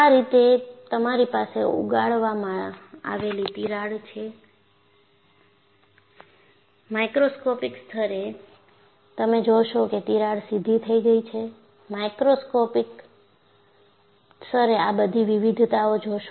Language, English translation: Gujarati, So, you have a crack grown like this; at a macroscopic level, you will find the crack has grown straight; at the microscopic level you will see all these variations